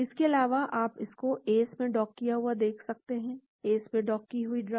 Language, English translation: Hindi, Also, you can see this docked in ACE; the drug docked in ACE,